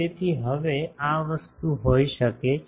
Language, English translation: Gujarati, So now, this thing can be